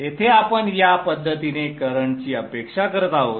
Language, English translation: Marathi, So here we are expecting the current to flow in this fashion